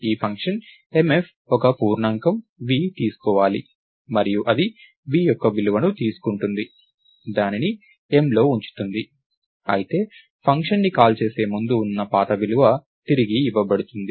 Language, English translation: Telugu, So, this function mf is supposed to take an integer v, and it takes the value of v, puts it in m, but the old value that was there before the function is called is supposed to be returned